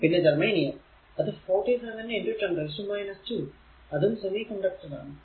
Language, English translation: Malayalam, And germanium 47 into 10 to the power minus 2 it is a semiconductor